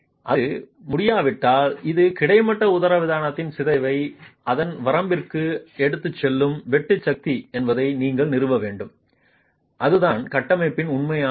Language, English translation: Tamil, If it is unable to, then you will have to establish that this is the shear force that takes the deformation in the horizontal diaphragm to its limit, that is the actual capacity of the structure